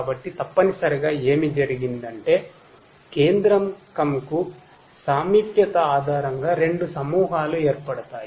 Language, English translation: Telugu, So, what is essentially what has happened is that two clusters are formed based on their proximity to the centroid